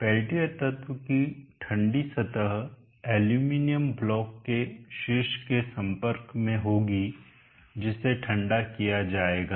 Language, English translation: Hindi, The cold surface of the pen tier element will be in contact with the tip aluminum block which will be cooled